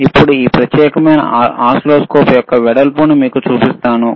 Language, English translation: Telugu, And now let me show you the width of this particular oscilloscope,